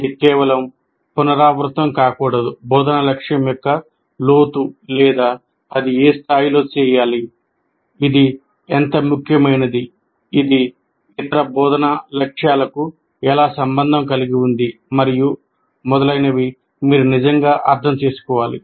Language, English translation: Telugu, He must really understand the depth of the instruction goal or the at what level it has to be done, how important it is, how it is related to other instructional goals and so on